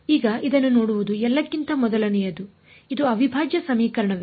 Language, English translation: Kannada, Now looking at this what kind of a first of all is it an integral equation, yes or no